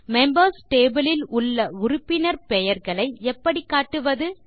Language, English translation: Tamil, So how do we display member names, which are in the members table